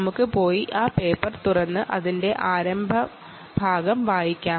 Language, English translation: Malayalam, so now let us go and open up that document and read the starting part of the document